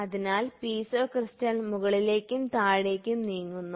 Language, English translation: Malayalam, So, Piezo crystal moves up and up and down